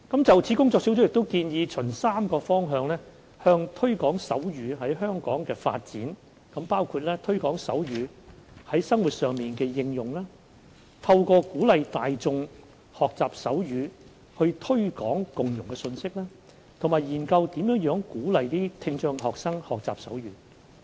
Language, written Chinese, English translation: Cantonese, 就此，工作小組建議循3個方向推廣手語在香港的發展，包括推廣手語在生活上的應用、透過鼓勵大眾學習手語以推廣共融的信息，以及研究如何鼓勵聽障學生學習手語。, In this connection the working group recommends the promotion of sign language development in Hong Kong in three directions namely promoting the use of sign language in daily life propagating the message of integration by encouraging the general public to learn sign language and conducting studies on ways to induce students with hearing impairment to learn sign language